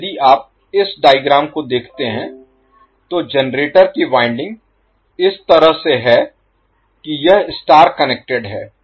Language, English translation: Hindi, So, if you see this particular figure the generator is wound in such a way that it is star connected